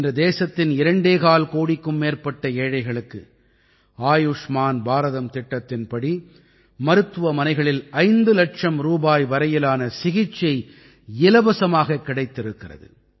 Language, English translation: Tamil, Today, more than two and a half crore impoverished people of the country have got free treatment up to Rs 5 lakh in the hospital under the Ayushman Bharat scheme